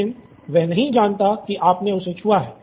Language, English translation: Hindi, But he doesn’t know that you have touched him